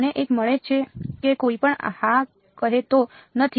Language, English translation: Gujarati, I get one no anyone saying yes